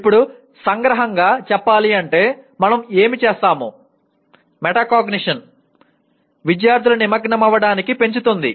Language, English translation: Telugu, Now in summary, what do we, what do we say metacognition can increase student engagement